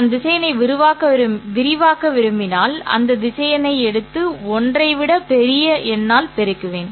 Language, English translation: Tamil, If I want to expand the vector, then I will take that vector and multiply it by a number greater than 1